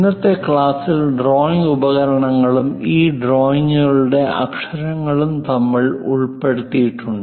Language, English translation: Malayalam, So, in today's class, we have covered drawing instruments and lettering of these drawings